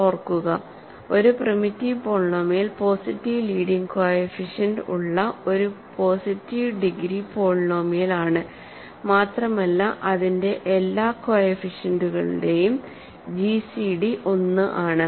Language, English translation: Malayalam, Remember, a primitive polynomial is a positive degree polynomial with positive leading coefficient and such that gcd of all its coefficient is 1